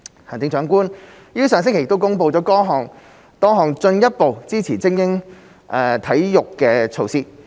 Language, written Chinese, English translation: Cantonese, 行政長官於上星期公布多項進一步支持精英體育的措施。, The Chief Executive announced various measures to further support elite sports last week